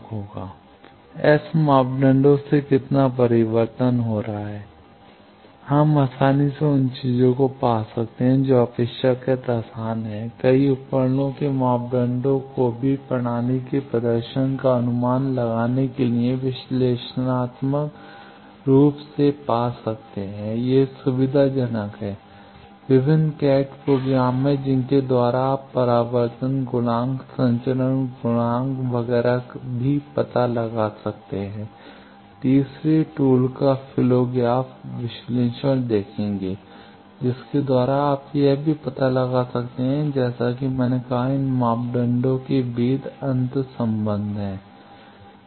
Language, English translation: Hindi, How much reflection taking place from S parameter, we can easily find those things relatively easy to measure cascade S parameters of multiple devices to predict system performance also analytically, it is convenient there are various CAD programs by which you can find out what are those reflection coefficient, transmission coefficient, etcetera also will see flow graph analysis the third tool by which also you can find out then as I said there are interrelation between these parameters